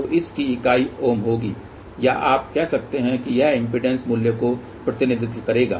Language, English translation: Hindi, So, the unit of this will be ohm or you can say this will represent the impedance value